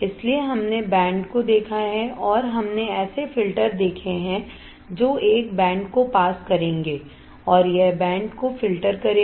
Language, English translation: Hindi, So, we have seen band and we have seen the filters that will pass a band and it will filter out band